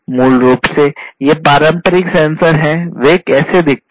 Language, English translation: Hindi, This is basically these traditional sensors, how they look like